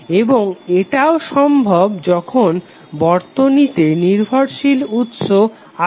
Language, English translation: Bengali, And it is also possible when the circuit is having dependent sources